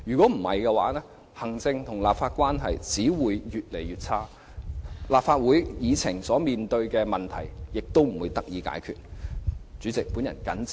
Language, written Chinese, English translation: Cantonese, 否則，行政、立法關係只會更形惡化，立法會議程面對的問題也不會得到解決。, Otherwise the executive - legislature relationship will only continue to deteriorate and the problems concerning the agenda of the Council meeting will not be resolved